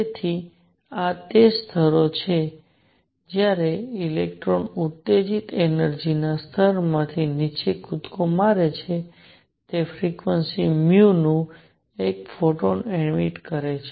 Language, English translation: Gujarati, So, these are the levels when an electron jumps from an excited energy level to lower one, it emits 1 photon of frequency nu